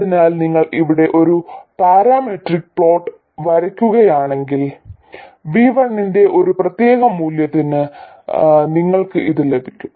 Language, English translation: Malayalam, So if you draw a parameter plot here, so for a particular value of V1 you will have this, for another value of V1 you will have a very different current but it will still be flat